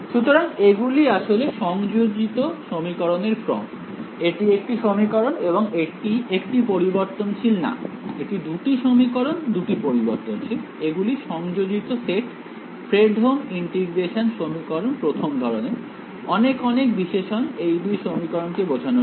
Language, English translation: Bengali, So, these are actually coupled system of equations, it is not 1 equation and 1 variables 2 equations in 2 variables, these are coupled set of Fredholm integral equations of the 1st kind right, many many adjectives to describe two simple equations